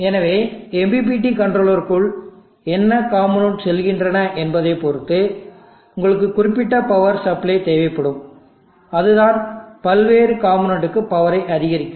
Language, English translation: Tamil, So like that you depending upon what components going to the MPPT controller you will need specific power supplies that will power of the various components